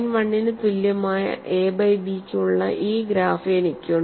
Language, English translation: Malayalam, And these graphs are drawn for a by b equal to 0